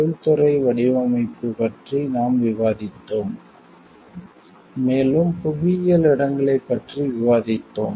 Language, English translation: Tamil, We have discussed about industrial design, and we have discussed about the geographical locations